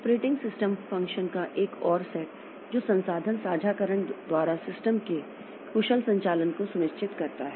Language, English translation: Hindi, Another set of operating system function that ensures efficient operation of the system itself via resource sharing